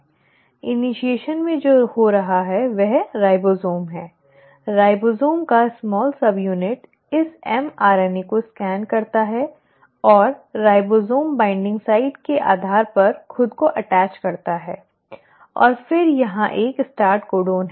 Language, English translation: Hindi, What is happening in initiation is the ribosome, the small subunit of ribosome scans this mRNA and attaches itself based on ribosome binding site and then here is a start codon